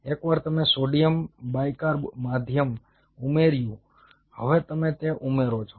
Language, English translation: Gujarati, ok, a once you added the sodium bicarb medium, now you are add that